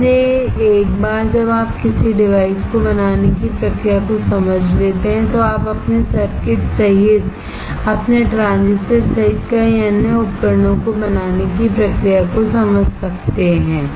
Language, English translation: Hindi, So, once you understand the process of fabricating a device, then you can understand the process of fabricating lot of other devices including your transistors including your circuits